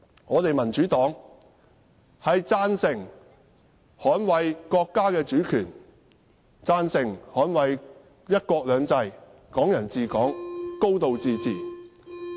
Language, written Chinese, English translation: Cantonese, 我們民主黨贊成捍衞國家主權、"一國兩制"、"港人治港"、"高度自治"。, We the Democratic Party support safeguarding the countrys sovereignty and one country two systems and implementing Hong Kong people ruling Hong Kong and a high degree of autonomy